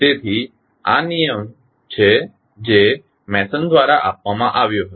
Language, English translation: Gujarati, So, this is the rule which was given by the Mason’s